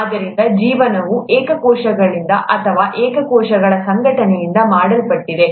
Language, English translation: Kannada, So life is made up of either single cells, or an organization of single cells